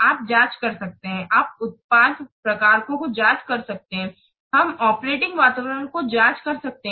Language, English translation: Hindi, You can calibrate the product types, you can calibrate the operating environments